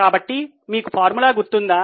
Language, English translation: Telugu, Now what is the formula do you remember